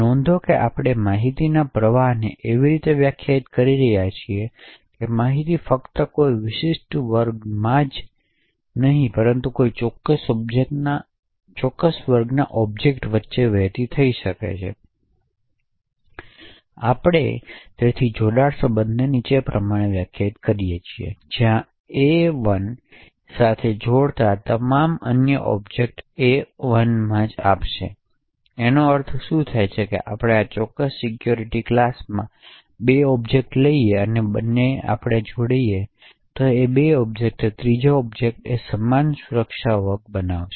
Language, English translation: Gujarati, So note and we are defining the information flow in such a way that information can flow only between objects in a specific class and not across different security classes, we also hence define the join relation as follows where AI joins with AI will give you other object in AI itself, so what it means is that if we take two objects in a certain security class and we join is two objects it would create a third object the same security class